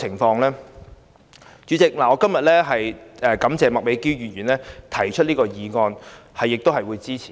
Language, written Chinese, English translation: Cantonese, 代理主席，我感謝麥美娟議員提出這項議案，我亦會支持。, Deputy President I thank Ms Alice MAK for proposing this motion and I will support it